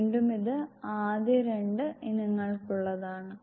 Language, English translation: Malayalam, Again this is for the first to 2 items